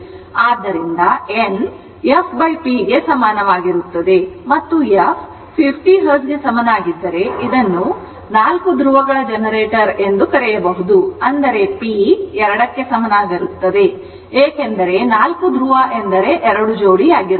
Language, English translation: Kannada, So, n is equal to then f by p and if f is equal to 50 Hertz and p is your what to call it is a 4 pole generator; that means, p is equal to 2 because it is four pole means 2 pairs